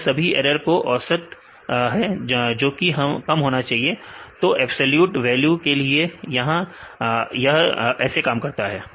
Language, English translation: Hindi, It is a mean of all this errors should be less right this is how it works in the case of the absolute values